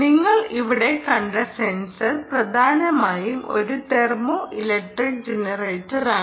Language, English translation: Malayalam, ok, the sensor that you have seen here, the one that you see here, essentially is a thermoelectric generator